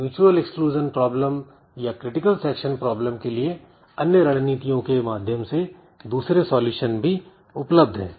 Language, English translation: Hindi, And so we'll, and there are other solutions to the mutual exclusion problem or the critical section problem using some other strategies